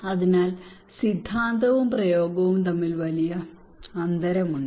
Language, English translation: Malayalam, So there is a huge gap between theory and practice okay